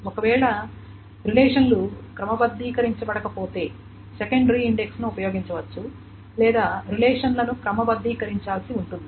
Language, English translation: Telugu, And if the relations are not sorted, then the secondary index can be used or the relations may be need to be sorted